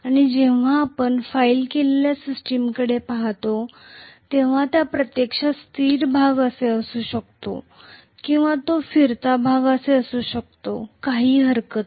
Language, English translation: Marathi, And when we are looking at filed system it can be actually the stationary portion or it can be the rotational portion, no problem